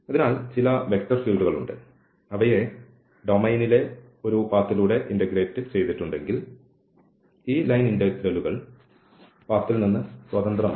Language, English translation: Malayalam, So, there are certain vector fields which if they are integrated over a path in the domain, then they are this, these integrals the line integrals are independent of path